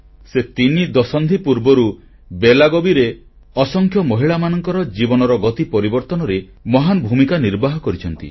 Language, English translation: Odia, For the past three decades, in Belagavi, she has made a great contribution towards changing the lives of countless women